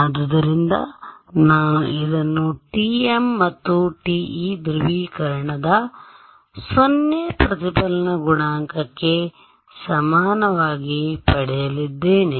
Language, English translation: Kannada, So, I am going to get this equal to 0 the reflection coefficient for TM and TE polarization